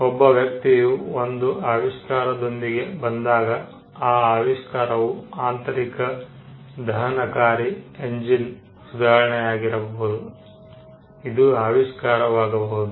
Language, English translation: Kannada, When a person comes up with an invention, the invention could be improvement in an internal combustion engine that could be an invention